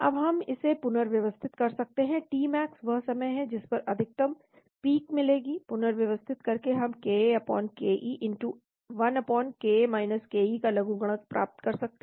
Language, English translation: Hindi, Now we can rearrange this, t max that is the time at which the maximum peak is observed by rearranging we can get logarithm of ka/ke*1/ka ke